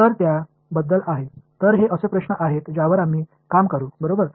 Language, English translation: Marathi, So, that is about; so, these are the questions that we will work with ok